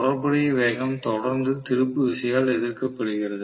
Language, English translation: Tamil, So the relative velocity is constantly being opposed by the torque